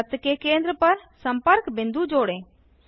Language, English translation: Hindi, Join centre of circle to points of contact